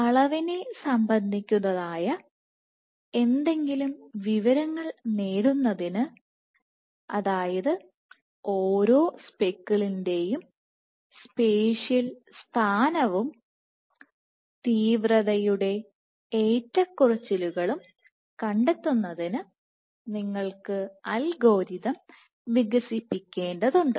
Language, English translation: Malayalam, So, in order to gain any quantitative information, you need to develop algorithms to track spatial position and intensity fluctuation of each and every speckle